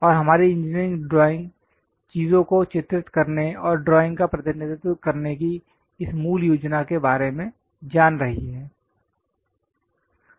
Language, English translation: Hindi, And our engineering drawing is knowing about this basic plan of drawing the things and representing drawings